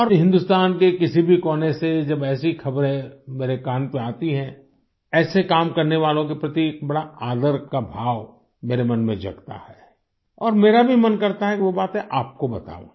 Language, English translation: Hindi, Whenever such news come to my notice, from any corner of India, it evokes immense respect in my heart for people who embark upon such tasks…and I also feel like sharing that with you